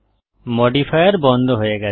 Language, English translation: Bengali, The modifier is removed